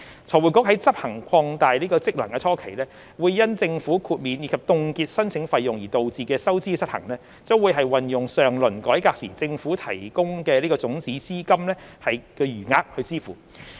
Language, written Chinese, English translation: Cantonese, 財匯局在執行擴大職能初期，因政府豁免及凍結申請費用而導致的收支失衡，將運用上輪改革時政府提供的種子資金的餘額支付。, In the initial stage of FRCs discharge of its expanded functions the deficit resulted from the Governments exemption and freeze on the application fees will be met by the unspent balance of the seed capital provided by the Government for the last reform